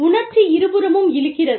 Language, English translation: Tamil, Emotional pulls from both sides